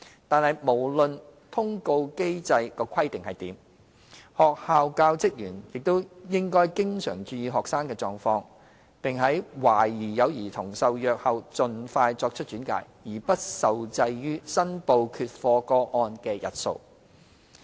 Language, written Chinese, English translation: Cantonese, 但是，無論通報機制規定如何，學校教職員也應經常注意學生的狀況，並在懷疑有兒童受虐後盡快作出轉介，而不受制於申報缺課個案的日數。, Irrespective of the number of consecutive days required for reporting students non - attendance under the mechanism the staff of schools should pay attention to students condition regularly and make referral as early as possible without being subject to the number of days required for reporting cases of non - attendance should there be any suspected cases of child abuse